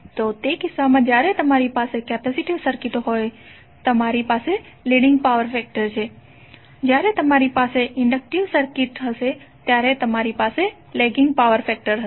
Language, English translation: Gujarati, So in that case when you have capacitive circuit you will have leading power factor when you have inductive circuit when you will have lagging power factor